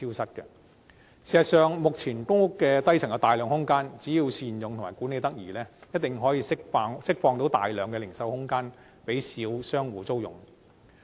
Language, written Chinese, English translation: Cantonese, 事實上，只要善用目前公屋低層的大量空間及管理得宜，一定可以釋放大量零售空間，讓小商戶租用。, As a matter of fact proper use of the large amount of space currently available on the lower floors in public housing blocks coupled with appropriate management can definitely release a lot of retail spaces for lease by small shop operators